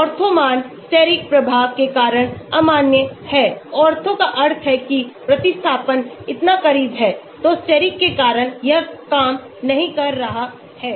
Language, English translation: Hindi, Ortho values are invalid due to steric effects, Ortho means the substitution is so close, so because of steric it might not work